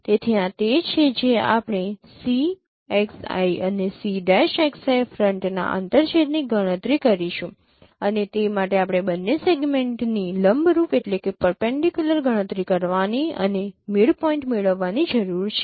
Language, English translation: Gujarati, So this is what we will compute intersection of C xI and c prime xI pram and for that we need to compute these segment perpendicular to both and get the mid point